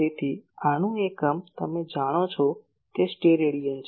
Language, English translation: Gujarati, So, unit of this is Stedidian you know